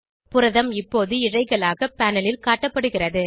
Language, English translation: Tamil, The protein is now displayed as Strands on the panel